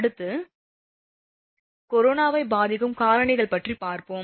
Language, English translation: Tamil, Next one is, that is your factors affecting the corona